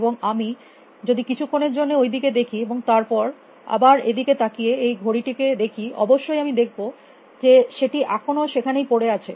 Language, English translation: Bengali, And then a look at this again is a watch still there of course, I can see it is still there